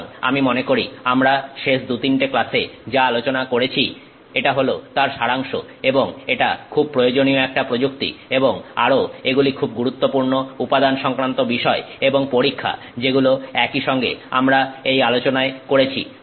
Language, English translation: Bengali, So, I think that sort of is a summary of what we have discussed in the last two, three classes and it's a very useful technique and also these are very important materials phenomena and tests which all sort of come together in these, you know, discussions that we have had